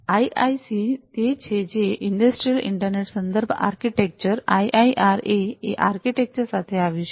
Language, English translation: Gujarati, So, this IIC is the one which came up with that the Industrial Internet Reference Architecture, IIRA architecture